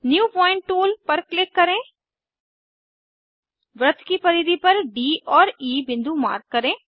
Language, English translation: Hindi, Click on new point tool, mark points D and E on the circumference of the circle